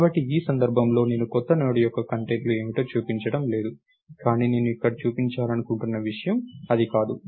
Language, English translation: Telugu, So, in this case I am not showing what the contents of the new Node are, but thats not ah